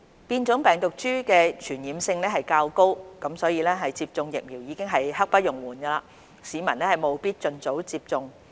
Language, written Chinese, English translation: Cantonese, 變種病毒株的傳染性較高，接種疫苗已經是刻不容緩，市民務必盡早接種。, In view of the higher transmissibility of mutant strains we urge the public to get vaccinated without delay